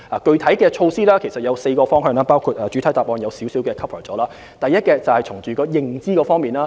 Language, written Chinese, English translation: Cantonese, 具體措施可分為4個方向，主體答覆已提及當中一部分，包括第一，從認知方面入手。, Specific measures can be divided into four fronts some of which are already covered in the main reply including firstly enhancing enterprises understanding of ETCZs